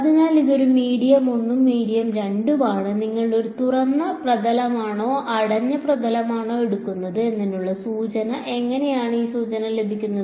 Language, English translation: Malayalam, So, this is a medium 1 and 2, the hint for whether you take a open surface or a closed surface how would you get that hint